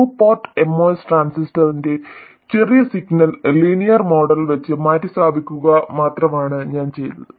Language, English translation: Malayalam, And all I have done is to replace this two port with the small signal linear model of the MOS transistor